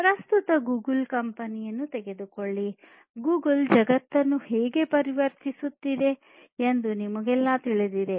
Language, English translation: Kannada, Take the company Google we all know how Google is transforming the world at present